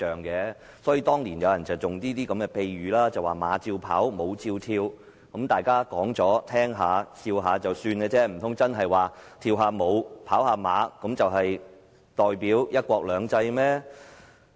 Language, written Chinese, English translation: Cantonese, 所以，當年有人用了''馬照跑，舞照跳"的比喻，大家聽了一笑，難道跳舞、賽馬就真的代表"一國兩制"嗎？, Thus someone used the analogy of horse racing and dancing would continue for explanation . People may laugh at this analogy . Can horse racing and dancing really represent one country two systems?